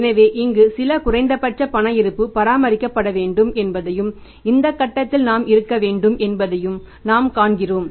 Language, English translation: Tamil, So, what we see that there should be some minimum cash balance maintained here and we should be up to this point